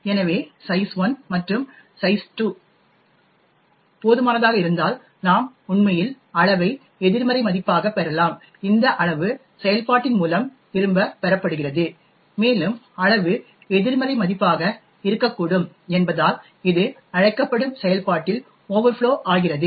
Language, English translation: Tamil, Therefore if size 1 and size 2 is large enough we may actually obtain size to be a negative value this size is what is returned by the function and since size can be a negative value it could result in an overflow in the callee function